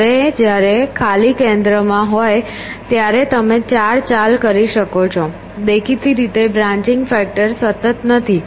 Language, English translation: Gujarati, Whereas, when the blank is in the center you can do four moves so; obviously, the branching factor is not constant